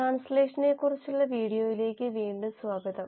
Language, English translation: Malayalam, So, welcome back to the video on translation